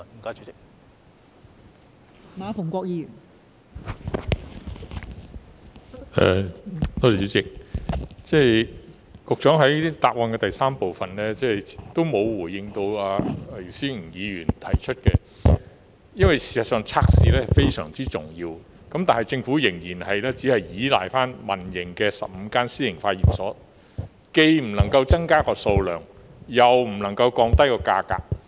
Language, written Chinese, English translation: Cantonese, 局長在主體答覆第三部分沒有回應姚思榮議員提出的質詢，事實上，測試是非常重要，但政府仍然只依賴15間私營化驗所，既不能增加測試數量，又不能夠降低價格。, The Secretary has not responded to the question raised by Mr YIU Si - wing in part 3 of the main reply . As a matter of fact the test is very important . Yet the Government only relies on 15 private laboratories